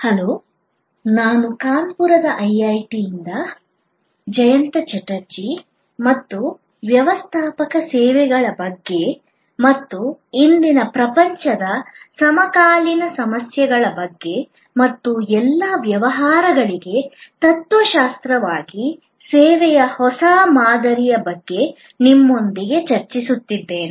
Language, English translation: Kannada, Hello, I am Jayanta Chatterjee from IIT, Kanpur and I am discussing with you about Managing Services and the contemporary issues in today's world and the new paradigm of service as a philosophy for all businesses